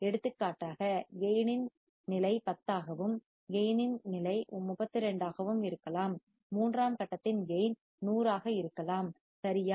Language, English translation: Tamil, For example, gain of the stage may be 10 and gain of stage may be 32, the gain of third stage may be 100 right